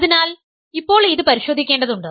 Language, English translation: Malayalam, So, what I have to check is